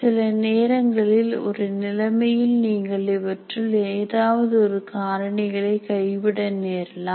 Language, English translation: Tamil, Sometimes you may have to forego one of these factors in a given situation